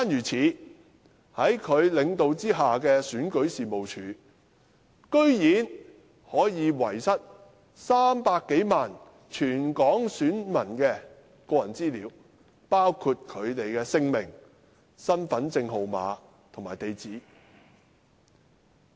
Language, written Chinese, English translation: Cantonese, 此外，在他領導下的選舉事務處居然可以遺失全港300多萬名選民的個人資料，包括姓名、身份證號碼和地址。, Moreover the Registration and Electoral Office under his leadership has outrageously lost the personal data of some 3 million voters in Hong Kong including their names identity card numbers and addresses